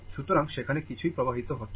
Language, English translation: Bengali, So, nothing is flowing through this